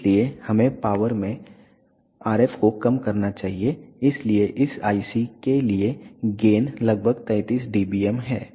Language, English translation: Hindi, So, we should reduce the RF in power, so the gain for this IC is around 33 dBm